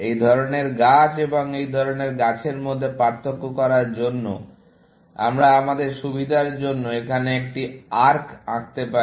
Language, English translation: Bengali, To distinguish between this sort of tree and that sort of a tree, we put an arc here, for our benefit